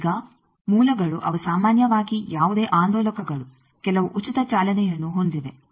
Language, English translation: Kannada, Now sources they generally any oscillator it has some free running